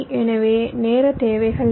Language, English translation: Tamil, so what are the timing requirements